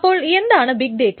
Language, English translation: Malayalam, So what is big data